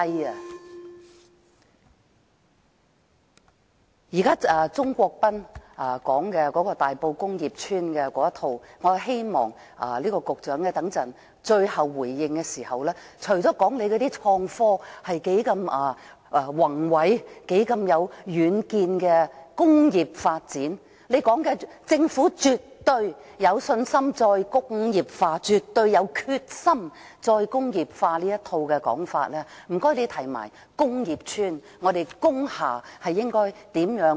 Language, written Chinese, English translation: Cantonese, 對於鍾國斌議員有關大埔工業邨的一套說法，我希望局長在最後回應時，除了告訴我們創科工業發展是多麼偉大，多有遠見，政府絕對有信心、有決心"再工業化"外，亦請談談如何放寬工業邨和工廠大廈的用途。, In response to Mr CHUNG Kwok - pans comment about the Tai Po Industrial Estate I hope that the Secretary when giving his final response can kindly talk about ways to relax the restrictions on the uses of industrial estates and industrial buildings apart from telling us how great and visionary the development of IT industry is and how confident and determined the Government is in promoting re - industrialization